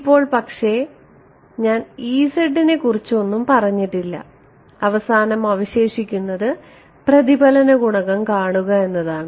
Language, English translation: Malayalam, Now once, but I have not said anything about e z right now the final thing that is left is to look at the reflection coefficient